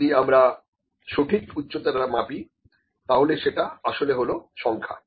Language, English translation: Bengali, So, these if I measure the exact heights this is these are actually numbers